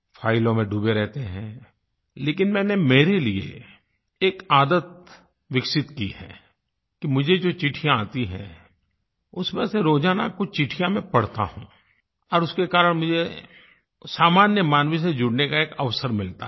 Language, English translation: Hindi, I have to remain deeply absorbed in files, but for my own self, I have developed a habit of reading daily, at least a few of the letters I receive and because of that I get a chance to connect with the common man